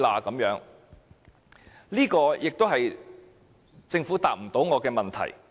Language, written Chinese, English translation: Cantonese, 這也是政府無法答覆我的問題。, This is also a question the Government has failed to answer me